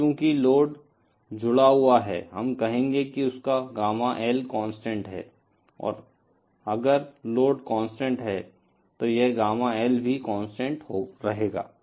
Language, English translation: Hindi, Now since the load is connected, we will say that his Gamma L is constant, if the load is constant, this Gamma L will also be constant